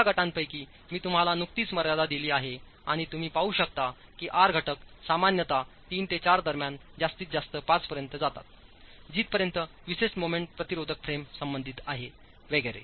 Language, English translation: Marathi, I have just given you the ranges within each of these groups and you can see that the R factors are typically between 3 and 4 going to a maximum of 5 as far as the special moment resisting frames are concerned, so on